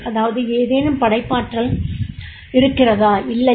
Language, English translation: Tamil, That is the is there any creativity or not